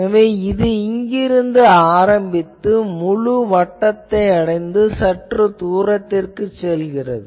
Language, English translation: Tamil, You see that it is starting from here going and one full circle then up to some distance